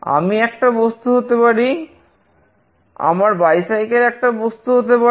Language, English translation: Bengali, I could be an object, my bag could be an object